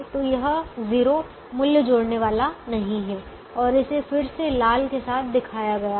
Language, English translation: Hindi, so this zero is not going to add value and that is again shown with the red one coming